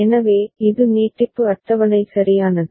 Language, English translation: Tamil, So, this is the extension table right